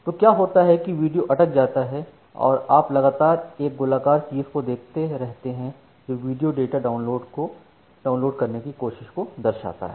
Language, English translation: Hindi, So, what happens that the video got stuck and you keep on seeing the circular thing that is rounding about for trying to download the video data